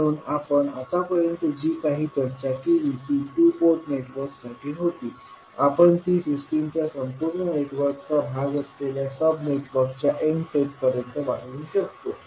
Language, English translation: Marathi, So now, whatever we discussed was for two port networks, we can extend it to n set of sub networks which are part of the overall network of the system